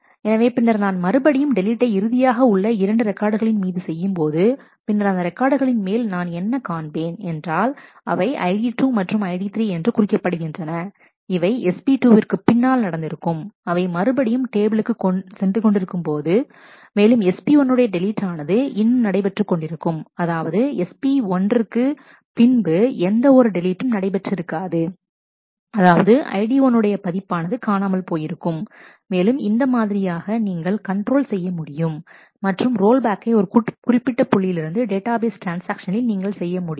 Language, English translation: Tamil, So, then when I undo the deletion of the last 2 records, then the what I see is the records which are marked as ID 2 and ID 3, which were done after SP 2 was marked which were deleted after SP 2 are marked, they are back into the table whereas, the deletion of SP 1 is still in effect and therefore, deletion that was none after SP 1 that is of record ID 1 is still missing and in this way you can control and roll back to any specific point in a database in a database transaction